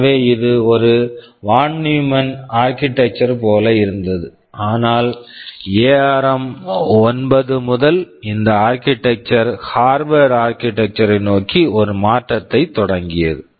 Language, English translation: Tamil, So, it was like a von Neumann architecture, but from ARM 9 onwards the architecture became it started a shift towards Harvard architecture right